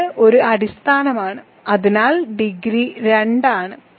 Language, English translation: Malayalam, So, it is a basis so degree is 2